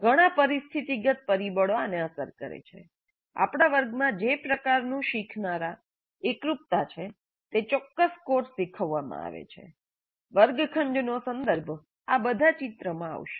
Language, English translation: Gujarati, Many situational factors influence these, the kind of learners that we have, the kind of homogeneity that we have, the specific course that is being taught, the classroom context, all these would come into the picture